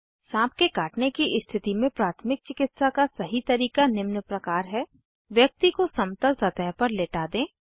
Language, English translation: Hindi, The correct way to give first aid in case of a snake bite is Make the person lie down on a flat surface